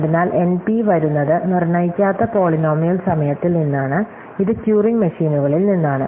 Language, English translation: Malayalam, So, NP comes from non deterministic polynomial time, which in terms comes from turing machines